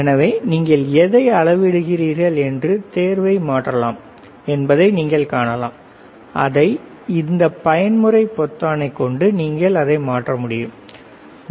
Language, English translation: Tamil, So, you can see you can change the selection, you can bring it or you with this mode button, you can change it, right